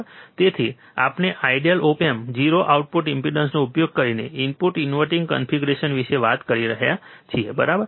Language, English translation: Gujarati, So, we are talking about input inverting configuration using ideal op amp 0 output impedance, right